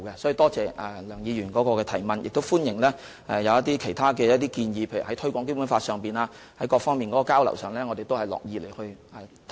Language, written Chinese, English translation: Cantonese, 所以，多謝梁議員的補充質詢，我亦歡迎其他建議，例如在各方面就推廣《基本法》的交流上，我們都樂意進行討論。, I therefore thank Dr LEUNG for her supplementary question and also welcome other suggestions . For example we are happy to have discussions and exchanges with various sides on the promotion of the Basic Law